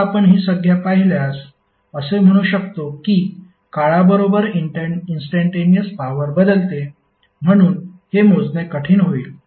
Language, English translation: Marathi, Now, if you see this term you can say that instantaneous power changes with time therefore it will be difficult to measure